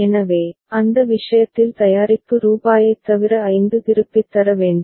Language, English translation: Tamil, So, in that is in that case other than the product rupees 5 need to be returned